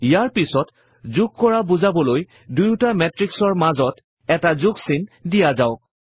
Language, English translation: Assamese, Next, let us add a plus symbol in between these two matrices to denote addition